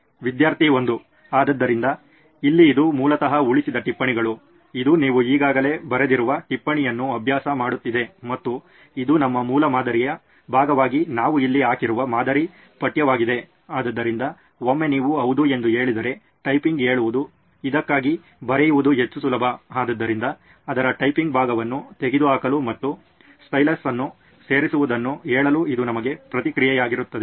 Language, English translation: Kannada, So, Here this is basically a saved notes, this is practising a note which you have already written on and this is a sample text what we have put up here as a part of our basic prototype, so that once you say yes instead of typing say writing is more easy for this, so that would be a feedback for us to remove the typing part of it and say incorporating a stylus